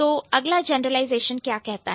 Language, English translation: Hindi, Then what is the next generalization which is the last one